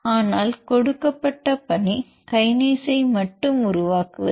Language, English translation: Tamil, But the task given is building the kinase in domain alone